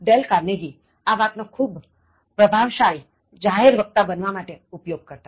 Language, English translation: Gujarati, Dale Carnegie, uses this in terms of becoming a very efficient public speaker